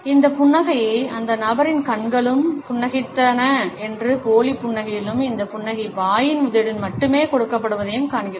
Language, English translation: Tamil, This is the smile in which we say that the person’s eyes were also smiling and in fake smiles we find that this smile is given only with the help of the mouth